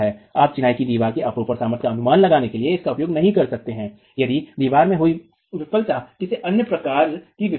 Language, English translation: Hindi, You cannot use this to predict sheer strength of masonry of a masonry wall if the failure that has occurred in the wall is of any other type of failure